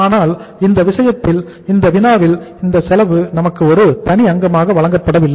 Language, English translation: Tamil, But since in this case, in this problem this cost is not given to us as a separate component